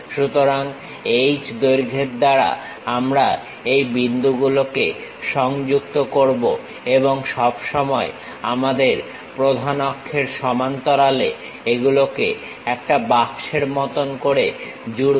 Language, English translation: Bengali, So, with H length we will connect these points and join it like a box, always parallel to our principal axis